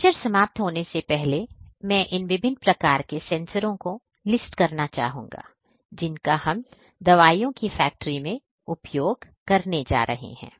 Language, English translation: Hindi, Before I end, I would like to list these different types of sensors that we are going to use in the pharmaceutical industry